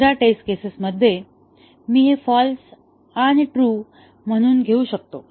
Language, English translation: Marathi, In the second test case, I can have this as false and this as true